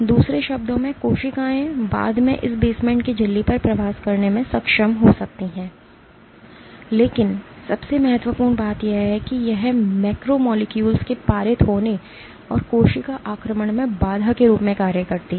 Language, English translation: Hindi, In other words cells might be able to migrate on this basement membrane laterally, but most importantly it acts as a barrier to passage of macromolecules and to cell invasion